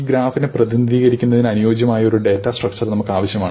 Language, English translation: Malayalam, So, we need a suitable data structure in order to represent this graph